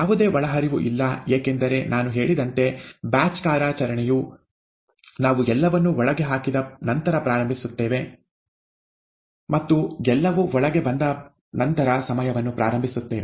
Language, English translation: Kannada, There is no input, because the batch operation, as I had said, we dump everything in, and start the time after everything is inside, okay